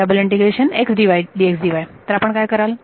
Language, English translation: Marathi, So, what would you do